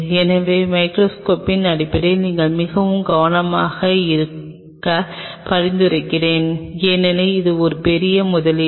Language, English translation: Tamil, So, I will recommend in terms of the microscope you be very careful because this is a big investment